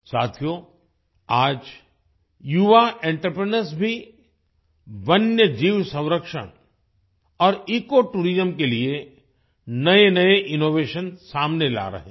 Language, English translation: Hindi, Friends, today young entrepreneurs are also working in new innovations for wildlife conservation and ecotourism